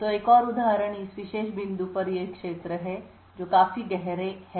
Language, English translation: Hindi, So another example is these regions at this particular point, which are considerably darker